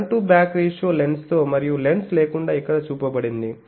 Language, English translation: Telugu, Then front to back ratio you see with lens and without lens is shown here